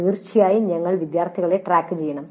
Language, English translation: Malayalam, Then of course we must track the students